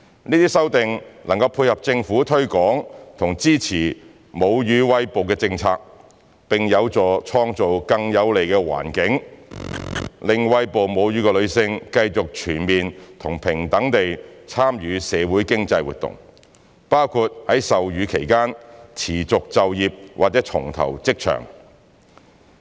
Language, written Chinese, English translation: Cantonese, 這些修訂能配合政府推廣及支持母乳餵哺的政策，並有助創造更有利的環境，讓餵哺母乳的女性繼續全面和平等地參與社會經濟活動，包括在授乳期間持續就業或重投職場。, These amendments complement the Governments policy of promoting and supporting breastfeeding and are conducive to creating a more enabling environment for breastfeeding women to continue their full and equal social and economic participation including staying in or rejoining the workforce while breastfeeding